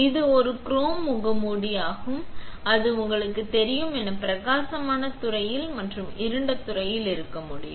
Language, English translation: Tamil, It can be a chrome mask, it can be bright field and dark field as you know